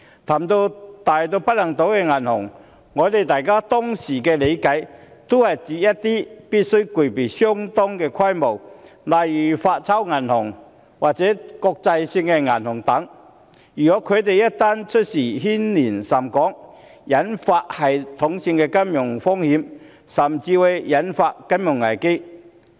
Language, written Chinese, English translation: Cantonese, 談及大到不能倒的銀行，我們當時的理解是指必須具備相當規模的銀行，例如發鈔銀行或國際性銀行等，當它們一旦出事便會牽連甚廣，引發系統性的金融風險，甚至會引發金融危機。, Talking about banks that are too big to fail our understanding at that time is banks of a considerable scale such as note - issuing banks or international banks . When these banks become non - viable they may create an extensive impact or pose a systemic financial risk or even trigger a financial crisis